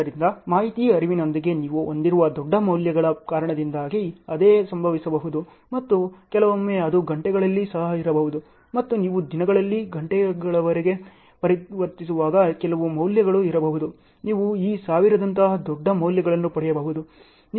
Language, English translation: Kannada, So, same thing can happen because of the large values you have with the information flows and sometimes it may be even in hours and some values may be in when you are converting in days to hours you may get large values like this thousand and so on